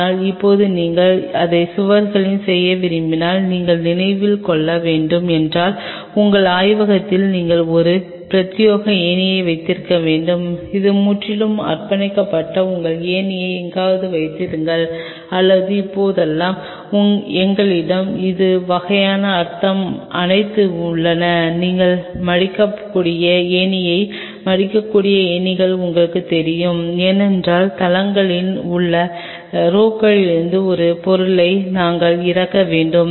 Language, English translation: Tamil, But now if you want to do it on the walls and you have to keep in mind then you have to have a dedicated ladder for your lab, which is purely dedicated your keep the ladder somewhere or a now nowadays we have the all this kind of you know foldable ladders something you have to foldable lad because we have to fold down a stuff from the racks on the sites